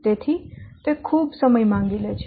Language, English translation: Gujarati, So, it is very much time consuming